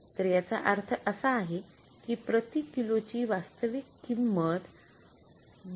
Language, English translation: Marathi, So it means what is actual price per kg